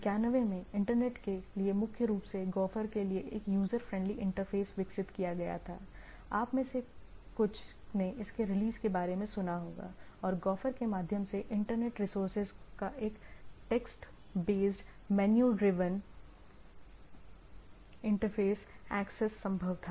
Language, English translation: Hindi, In 91 developed user friendly interface for Internet primarily Gopher, some of you might have heard about it released by was released, and text based, menu driven interface axis of Internet resources was possible through Gopher